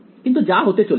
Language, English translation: Bengali, But as it turns out